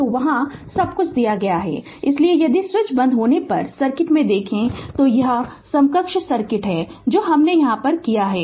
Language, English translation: Hindi, So, everything is given there , therefore therefore if you look in to the circuit when switch is closed this is the equivalent circuit whatever I have done for you right